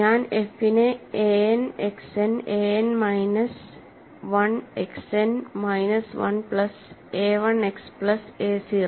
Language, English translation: Malayalam, So, I am going to write f as a n, X n, a n minus, 1 X n minus 1 plus a 1 X plus a 0